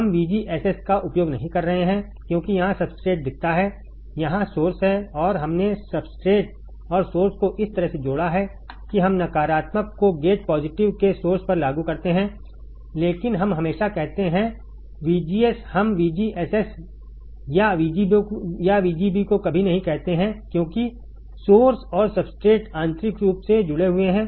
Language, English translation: Hindi, Why we are not using VGSS is because here see substrate is there , here the source is there right and we have connected the substrate and source like this we apply negative to source positive to gate, but we always say VGS we never say VGSS or VGB because source and substrate are connected internally